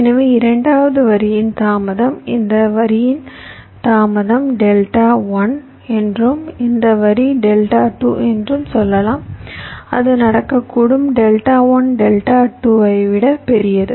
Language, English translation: Tamil, so it may so happen that the delay of the second line, lets say the delay of this line, is delta one and this line is delta two